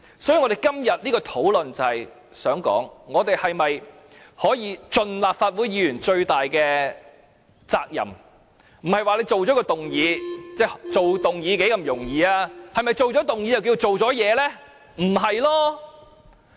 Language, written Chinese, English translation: Cantonese, 所以，今天的討論就是想說，我們可否盡立法會議員最大的責任，不要只是提出一項議案，提出議案有何難度呢？, Therefore the point of our discussion today is to ask whether we can fully our duty as Members of the Legislative Council rather than just proposing a motion . It is frankly very easy to propose a motion right?